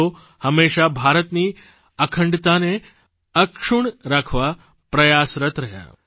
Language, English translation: Gujarati, He always remained engaged in keeping India's integrity intact